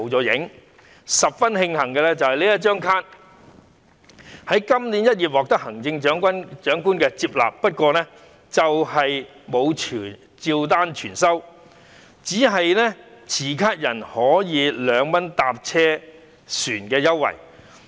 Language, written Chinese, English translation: Cantonese, 值得慶幸的是，"銀齡卡"在今年1月獲得行政長官接納，不過卻沒有照單全收，只是持卡人可獲2元乘車優惠。, We are glad that the Chief Executive accepted the silver age card concept this January; not the whole package but only the 2 concessionary fare